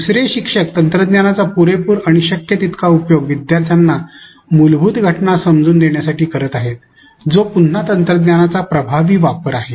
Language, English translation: Marathi, Instructor 2 again wants to exploit the affordances of technology to make learners understand the underlying phenomenon which again is an effective use of technology